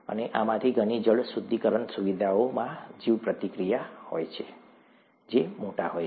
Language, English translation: Gujarati, And many of these water treatment facilities have bioreactors that are large